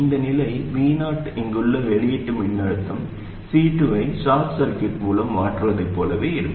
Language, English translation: Tamil, This condition ensures that the output voltage here V0 would be the same as replacing C2 by a short circuit